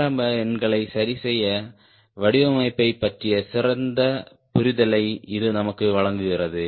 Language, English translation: Tamil, that gives us a better understanding of ah design to fix initial numbers